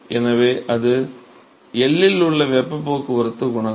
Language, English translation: Tamil, So, that is the heat transport coefficient at L